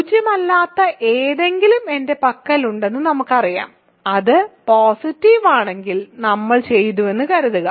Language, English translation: Malayalam, We know that I contains something non zero, if it is positive we are done, suppose not